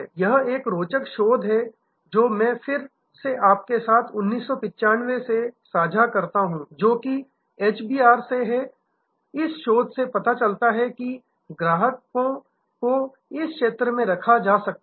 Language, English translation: Hindi, This is an interesting research that I again share with you from 1995 which is from HBR and this research shows that the customers can be put across this zone